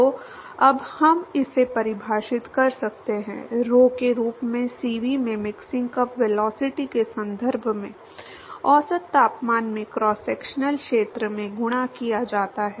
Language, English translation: Hindi, So, now we can define this, as rho into CV into in terms of the mixing cup velocity, multiplied by the average temperature into the cross sectional area